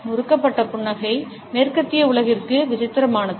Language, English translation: Tamil, The twisted smile is peculiar to the western world